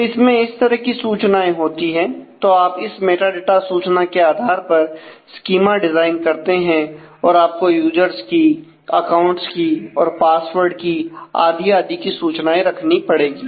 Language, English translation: Hindi, So, you put them again, you create the schema design based on the all this metadata information that you need, also you can have you will need to maintain information for users, accounts, passwords and so, on